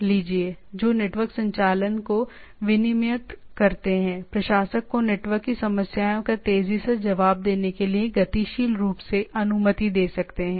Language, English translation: Hindi, Values which regulate network operation can be altered allowing administrator to quickly respond to network problems dynamically etcetera